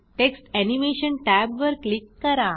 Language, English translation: Marathi, Click on the Text Animation tab